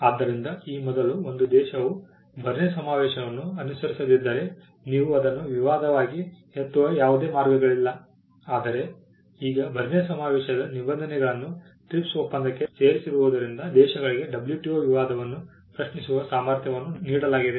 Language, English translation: Kannada, So, earlier if a country did not comply with the Berne convention there was no way in which you can raise that as a dispute, but now this arrangement of incorporating Berne convention provisions or the Berne convention into the TRIPS agreement brought in countries the ability to raise a WTO dispute